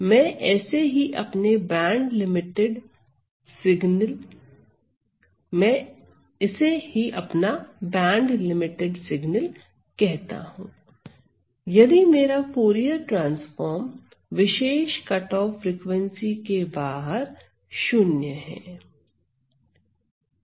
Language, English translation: Hindi, So, so I call this as my band limited signal, if my Fourier transform is 0 outside a particular cutoff frequency